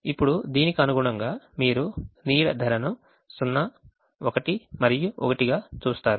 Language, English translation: Telugu, now, corresponding to thisyou see shadow price as zero